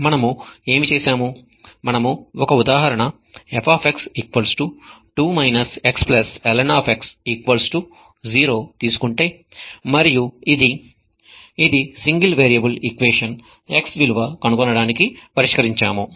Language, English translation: Telugu, What we have done is we have taken an example of f equal to 2 minus x plus ln x equal to 0 and solved this single variable equation to obtain the value of x that gives the solution